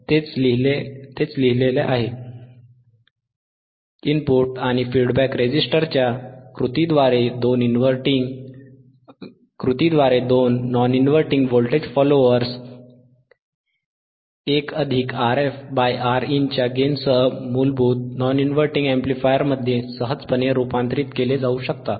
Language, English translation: Marathi, Tthat is what is written, that are two non inverting voltage followers can be easily be converted into basic non inverting amplifier with a gain of 1 plus R f by Rin, by the action of input and feedback registerssistors